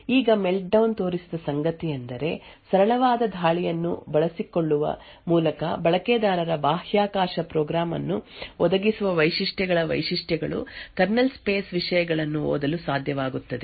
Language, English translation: Kannada, Now what Meltdown showed is that with a simple attack exploiting that features of what speculation actually provides a user space program would be able to read contents of the kernel space